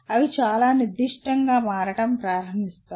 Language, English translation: Telugu, They start becoming very specific